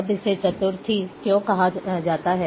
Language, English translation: Hindi, Now, why it is called Quadtree